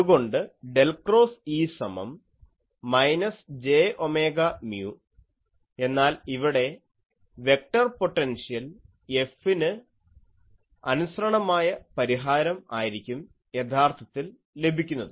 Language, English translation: Malayalam, So, del cross E is equal to minus j omega mu, but here since actually this solution will be in terms of the vector potential F actually